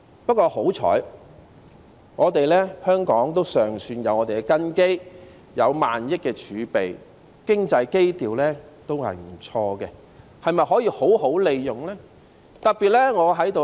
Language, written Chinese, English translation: Cantonese, 不過，幸好香港尚算有根基，有萬億元的儲備，經濟基調也不錯，但是否可以好好利用呢？, But fortunately Hong Kong still has a good foundation . We have a reserve amounting to 1,000 billion and sound economic fundamentals . But can these be put to good use?